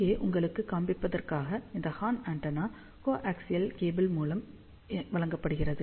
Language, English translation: Tamil, So, just to show you here, so here this horn antenna is fed with the coaxial cable over here, you can see that the probe is extended